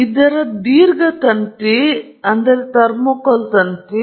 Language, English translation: Kannada, Its a long wire, thermocouple wire